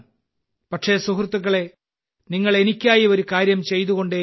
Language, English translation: Malayalam, But, friends, you have to keep performing one task for me